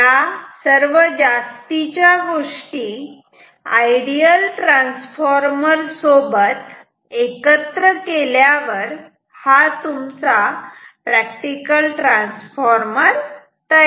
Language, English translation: Marathi, These extra things are added, this non idealities are added to this ideal transformer, then it becomes a practical transformer